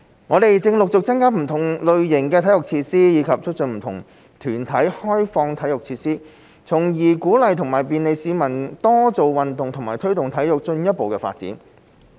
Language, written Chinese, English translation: Cantonese, 我們正陸續增加不同類型的體育設施，以及促進不同團體開放體育設施，從而鼓勵和便利市民多做運動和推動體育進一步發展。, We are working on the increase in sports facilities of different types and the lobbying of different organizations for the opening - up of their sports facilities so as to facilitate and encourage members of the public to do exercise as well as to promote the further development of sports